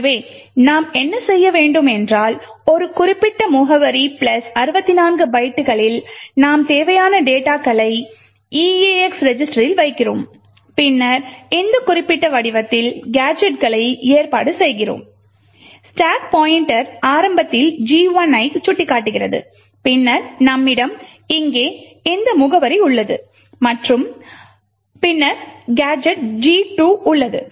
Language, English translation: Tamil, So what we do is that at a particular address plus 64 bytes we put the necessary data which we want to move into the eax register, then we arrange gadgets in this particular form, the stack pointer is pointing to gadget 1 initially, then we have this address over here and then we have gadget 2